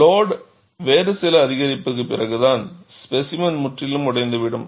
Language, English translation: Tamil, Only after some other increase in load, the specimen will completely break